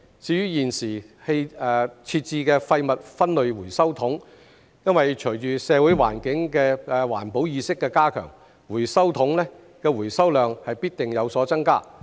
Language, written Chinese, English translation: Cantonese, 至於現時設置的廢物分類回收桶，隨着社會的環保意識加強，回收桶的回收量必定有所增加。, As for the existing waste separation bins their recovery quantity has certainly increased as the community develops stronger environmental awareness